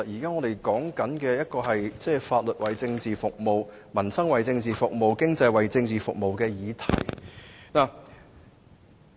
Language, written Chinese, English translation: Cantonese, 我們其實在討論法律、民生和經濟都要為政治服務的議題。, Actually we are discussing the issue of the law peoples livelihood and the economy having to serve politics